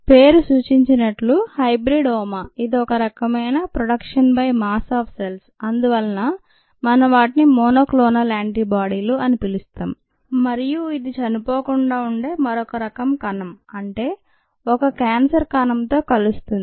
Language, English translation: Telugu, hybridoma, as the name suggest, hybrid oma, it is a fusion or a mixture of a cell that can produce one type of antibody and therefore you call them monoclonal antibodies and an other type which does not die ah, which this is a cancerous cell